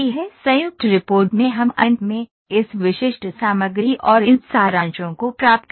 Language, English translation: Hindi, In joint report we finally, get this specific material and these summaries there